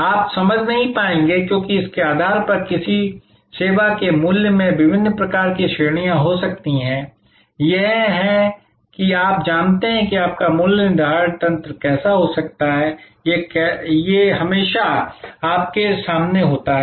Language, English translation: Hindi, You will not be able to understand, because depending on this, the value for one particular service may have different types of ranges, this is you know kind of a whatever may be your pricing mechanism, this is always there in front of you, the competition